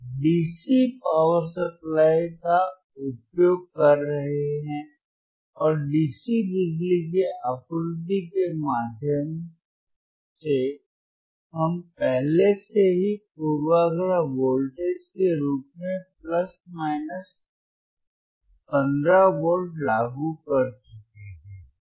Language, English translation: Hindi, We are using the dcDC power supply, and through dcDC power supply we have already applied plus minus 15 volts as bias voltage